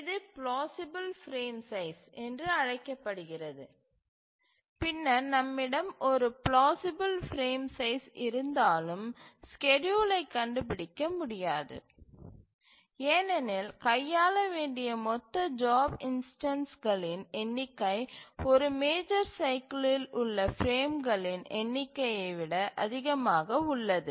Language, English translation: Tamil, So, this we call as plausible frame sizes and then even if we have a plausible frame size, it is not the case that schedule may be found, maybe because we have the total number of job instances to be handled is more than the number of frames in a major cycle